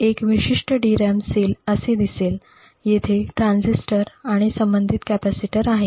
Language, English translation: Marathi, One particular DRAM cell would look like this, there is a transistor and an associated capacitor